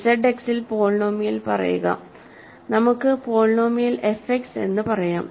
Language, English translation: Malayalam, Say polynomial in Z X, let us say polynomial f X